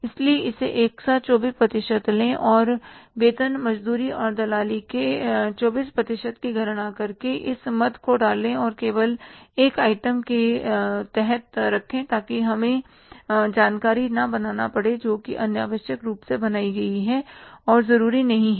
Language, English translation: Hindi, So take it together 24% and put this item by calculating 24% of the salaries, wages and commission and put under the one item only so that we have not to miscreate the information which is unnecessarily created and not required